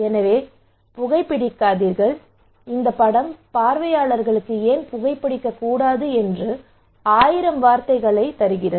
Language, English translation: Tamil, So do not smoke and this picture gives thousand words to the audience that why they should not smoke